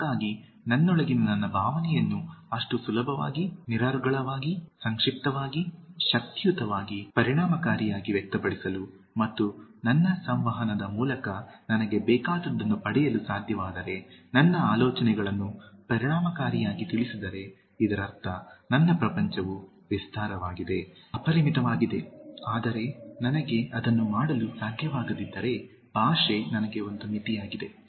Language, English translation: Kannada, So if I convey my ideas effectively if I am able to express what I feel inside me so easily, so fluently, so succinctly, so powerfully, so effectively and get what I want through my communication, this means, my world is widen , unlimited, but if I am not able to do that and language is a limitation for me, whichever language it maybe, it only implies the limits of my world, my world becomes narrow, confined